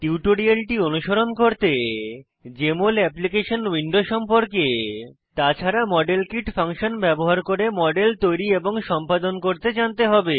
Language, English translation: Bengali, To follow this tutorial you should be familiar with Jmol Application Window and know to create and edit models using modelkit function